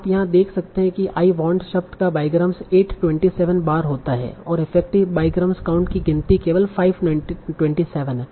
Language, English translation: Hindi, So you see here whenever the word I want, the diagram I want occurred 827 times initially the effective diagram count now is only 527